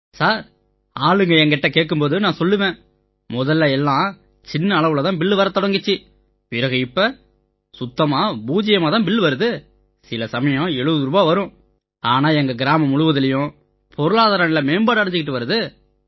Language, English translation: Tamil, Sir, when people ask us, we say that whatever bill we used to get, that is now zero and sometimes it comes to 70 rupees, but the economic condition in our entire village is improving